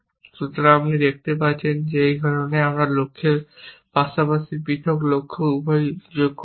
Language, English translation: Bengali, So, you can see this is the reason why, we have added both the conjunct of the goals as well as individual goals